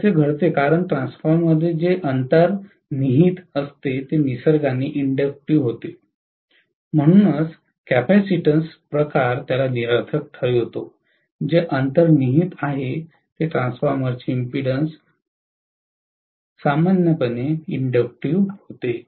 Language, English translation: Marathi, This happens because inherently what is there within the transformer is inductive in nature, so the capacitance kind of nullifies it, what is inherently the impedance of transformer happens to be inductive in nature